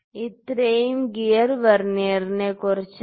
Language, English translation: Malayalam, So, this was about the gear Vernier